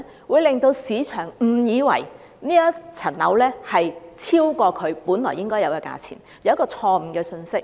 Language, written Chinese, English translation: Cantonese, 會令市場誤以為這個物業的價值超過其本來應有的價錢，給人一個錯誤的信息。, will make the market mistake that the value of a property is higher than the price it is actually worth thus delivering a wrong message